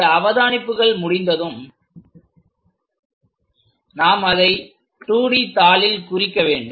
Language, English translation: Tamil, Once these observations are done we have to represent that on the 2 D sheet